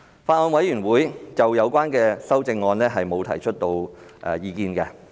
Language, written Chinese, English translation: Cantonese, 法案委員會就有關修正案沒有提出意見。, The Bills Committee has no comment on the amendments